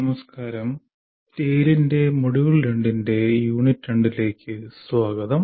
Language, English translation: Malayalam, Good Greetings and welcome to Unit 2 of Module 2 of Tale